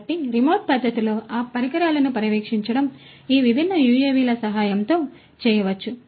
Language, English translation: Telugu, So, monitoring those equipments you know in a remote fashion can be done with the help of these different UAVs